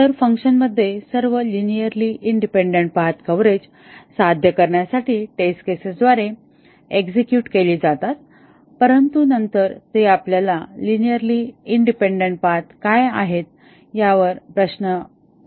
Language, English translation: Marathi, So, in the function all the linearly independent paths are executed by the test cases for achieving path coverage but then that brings us to this question of what are linearly independent paths